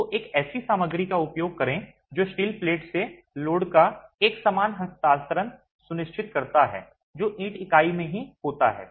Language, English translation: Hindi, So, you use a material that ensures uniform transfer of load from the steel platon to the brick unit itself